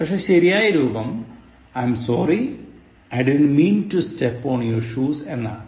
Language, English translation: Malayalam, But the correct form is, I’m sorry— I didn’t mean to step on your shoes